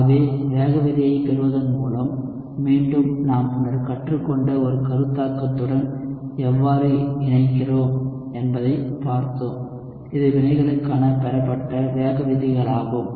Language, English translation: Tamil, So we have seen how by deriving the rate law, again, we are connecting to a concept we had learned earlier, which is the deriving rate laws for reactions